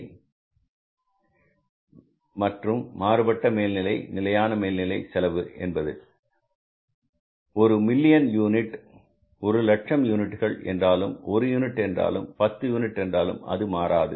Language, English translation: Tamil, Fix overhead are those overheads which remain fixed whether you go for production of 1 million units, 1 lakh units, 1 unit or 10 units